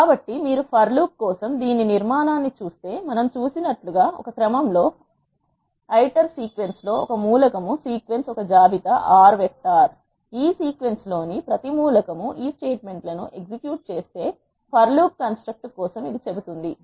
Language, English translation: Telugu, So, if you see the structure of this for loop, iter in a sequence as we seen iter is an element in the sequence the sequence is a list R vector; for every element in this sequence execute this statements is what this for loop construct is saying